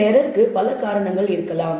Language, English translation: Tamil, There could be several reasons for this error